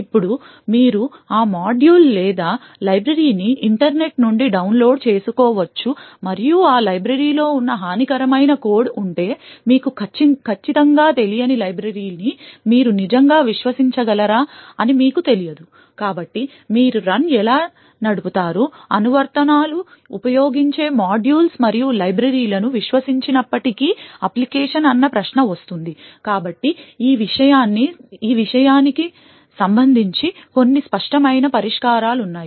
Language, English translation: Telugu, Now you may download that module or library from the internet and you are not certain whether you can actually trust that library you are not certain for example if that is a malicious code present in that library, so the question comes is how would you run your application in spite of not trusting the modules and the libraries that the applications uses, so there are some obvious solutions for this thing